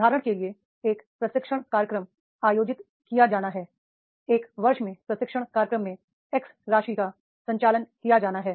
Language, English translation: Hindi, For example, a training program is to be conducted, training program in a year is to be conducted of the X amount